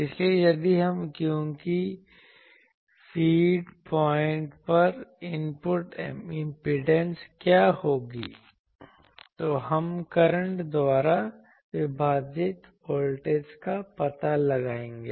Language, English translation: Hindi, So, if we, because what will be the input impedance at the feed point, we will find out the applied voltage divided by the current